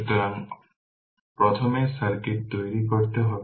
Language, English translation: Bengali, So, this way first we have to make the circuit